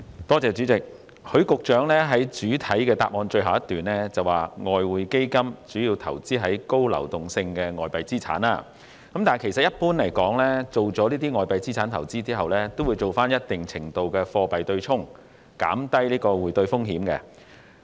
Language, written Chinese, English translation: Cantonese, 代理主席，許局長在主體答覆的最後一段提到"外匯基金主要投資高流動性的外幣資產"，但一般而言，進行外幣資產投資後，亦會進行一定程度的貨幣對沖，以減低匯兌風險。, Deputy President Secretary HUI has mentioned in the last paragraph of his main reply that the Exchange Fund primarily invests in highly liquid foreign currency assets . But generally speaking after investing in foreign currency assets a certain degree of currency hedging will be carried out to reduce the exchange risk